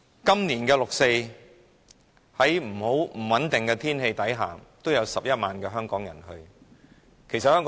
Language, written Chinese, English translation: Cantonese, 今年的六四集會在不穩定的天氣舉行下，仍有11萬名香港人出席。, While the 4 June rally this year was held in unsettled weather it was still attended by 110 000 Hong Kong people